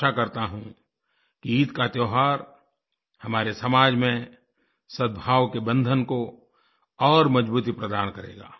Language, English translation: Hindi, I hope that the festival of Eid will further strengthen the bonds of harmony in our society